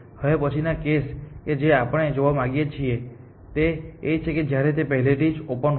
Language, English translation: Gujarati, The next case that we want to look at is when it is already on open